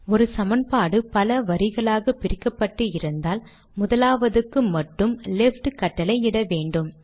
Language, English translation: Tamil, When we have one equation split into multiple lines, we will have to put only the left on the first